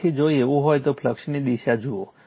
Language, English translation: Gujarati, So, if it is so then look at the flux direction